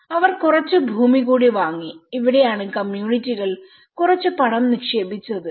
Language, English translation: Malayalam, And they bought some more land and this is where communities have put some money in it